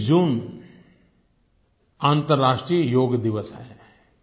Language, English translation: Hindi, 21st June is the International Day for Yog